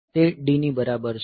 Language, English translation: Gujarati, So, that is equal to D